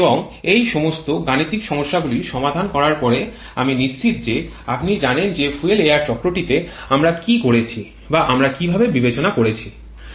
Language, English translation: Bengali, And after solving all those numerical problems I am sure you know what we are doing in fuel air cycle or how we are considering